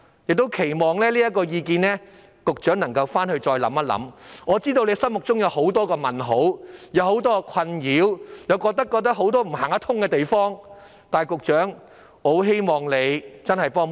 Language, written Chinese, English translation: Cantonese, 我期望局長考慮這項意見，我知道他心裏會有很多疑問和困擾，他亦會認為有行不通的地方，但我希望局長可以幫幫忙。, I hope the Secretary will consider this proposal . I understand that the Secretary may have a lot of questions and distresses thinking that there are areas that will not work but I still hope that he can offer help